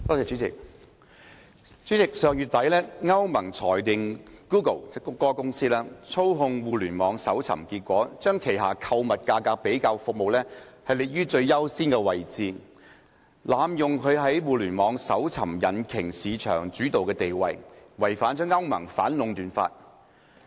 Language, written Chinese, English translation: Cantonese, 主席，上月底，歐盟裁定谷歌公司操控互聯網搜尋結果，將旗下購物價格比較服務列於最優先位置，濫用其在互聯網搜尋引擎市場主導地位，違反歐盟反壟斷法。, President at the end of last month the European Union EU ruled that Google Inc had manipulated Internet search results by giving the highest priority placement to its price comparison shopping service abusing its market dominance in the Internet search - engine market and breaching EUs antitrust rules